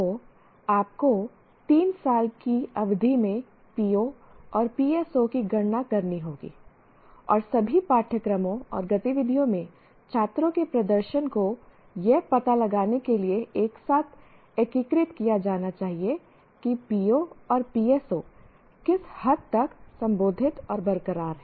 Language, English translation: Hindi, So you have to compute the POs and PSOs over a period of three years in the sense, three year program and the students performance in all courses and activities should be integrated together to find out to what extent the POs and PSOs are addressed and attained